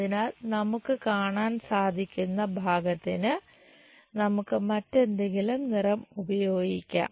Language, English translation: Malayalam, So, the view what we will see is let us use some other color